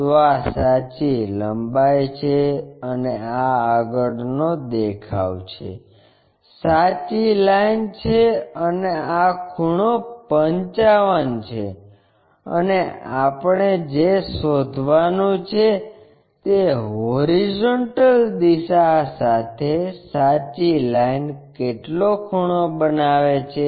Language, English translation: Gujarati, So, this is true length and this is the front view, true line and this angle is 55 and what we have to find is the angle true line making in that horizontal thing